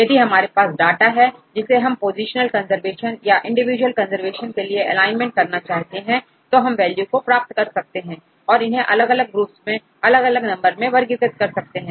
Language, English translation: Hindi, You will get the data right which was asking for the positional conservation or the alignment with the individual conservation right will get the values or we can classify into different groups into different numbers